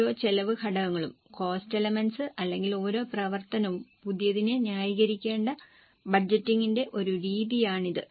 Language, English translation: Malayalam, So, this is a method of budgeting where each cost element or each activity has to justify it afresh